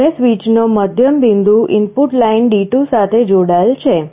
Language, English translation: Gujarati, And the middle point of the switch is connected to the input line D2